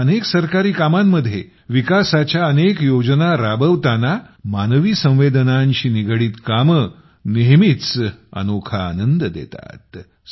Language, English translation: Marathi, But in the many works of the government, amidst the many schemes of development, things related to human sensitivities always give a different kind of joy